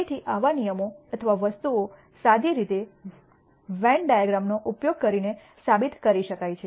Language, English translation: Gujarati, So, such rules or things can be proved by using Venn Diagrams in a simple manner